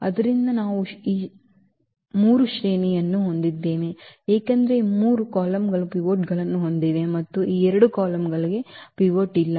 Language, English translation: Kannada, So, we have the 3 rank because these 3 columns have pivots and these two columns do not have pivot